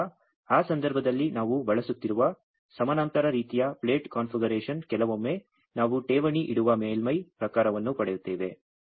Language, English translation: Kannada, So, in that case it is a parallel kind of plate configuration we are using sometimes we get surface type of electrode we deposit